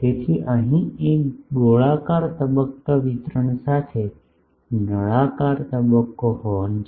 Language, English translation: Gujarati, So, here is a cylindrical phase horn with a circular phase distribution